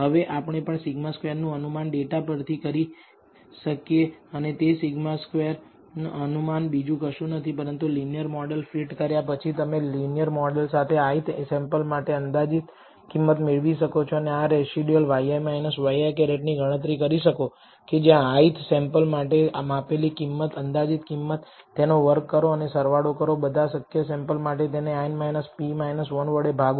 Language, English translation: Gujarati, Now, we can also estimate as I said sigma squared from the data and that sigma squared estimate is nothing but the after you fit the linear model you can take the predicted value for the ith sample from the linear model and compute this residual y i minus y i hat which is the measured value minus the predicted value for the ith sample, square it take the sum or all possible samples, n samples, divided by n minus p minus 1